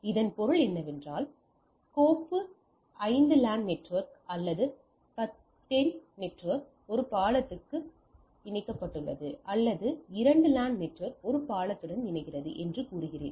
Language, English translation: Tamil, So that means, I have say file 5 LAN network, or 10 network connect with a bridge, or say two LAN network connect with a bridge